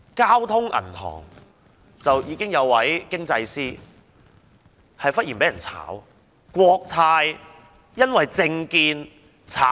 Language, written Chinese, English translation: Cantonese, 交通銀行有一位經濟師忽然被炒，國泰也有人因為政見被炒......, An economist of the Bank of Communications has been fired suddenly certain employees of Cathay Pacific have been fired deal to their political stances